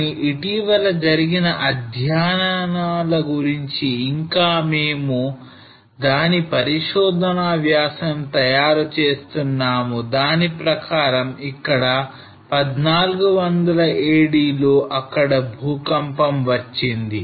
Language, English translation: Telugu, But recent studies which is still we are preparing the research article there was an earthquake in 1400 AD on this actually